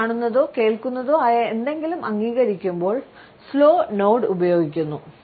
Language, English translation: Malayalam, A slow nod is used when we agree with something we see or listen to